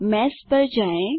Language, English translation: Hindi, Go to Mesh